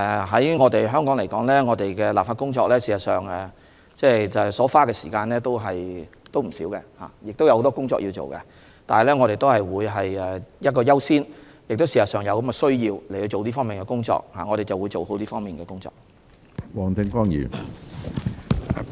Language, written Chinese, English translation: Cantonese, 在香港，我們在立法工作上所花的時間也不少，也有很多工作需要做，但我們會優先處理有關的修訂，而實際上也是有此需要的，所以我們會做好這方面的工作。, In Hong Kong the time required for legislative work is not short and a lot of work has to be done . Yet we will give priority to the relevant amendment as this is indeed necessary . Hence we will do our work properly in this respect